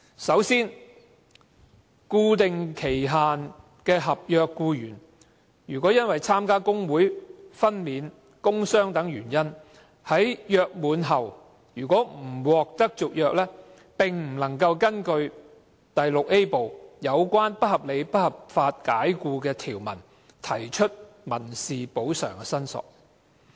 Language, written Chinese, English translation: Cantonese, 首先，固定期限的合約僱員，若因參加工會、分娩、工傷等原因，在約滿後不獲續約，並不能根據《條例》第 VIA 部有關不合理及不合法解僱的條文提出民事補償申索。, First if employees on fixed term contracts do not have their contracts renewed on grounds of their participation in trade unions pregnancy work injury and so on they cannot claim for civil remedy under the provisions of unreasonable and unlawful dismissal in Part VIA of the Ordinance